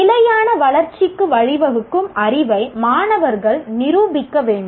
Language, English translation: Tamil, Student should demonstrate the knowledge what can lead to sustainable development